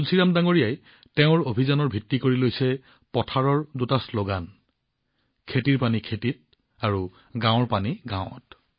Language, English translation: Assamese, Tulsiram ji has made the basis of his campaign farm water in farms, village water in villages